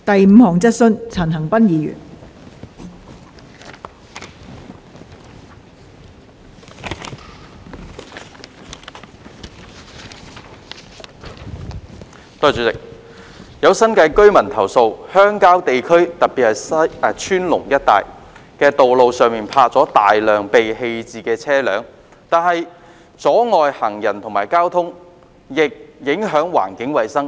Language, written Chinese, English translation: Cantonese, 代理主席，有新界居民投訴，鄉郊地區的道路上泊有大量被棄置的車輛，不但阻礙行人和交通，亦影響環境衞生。, Deputy President some residents in the New Territories have complained that a large number of abandoned vehicles are parked on the roads in the rural areas which have not only caused obstruction to pedestrians and traffic but also affected environmental hygiene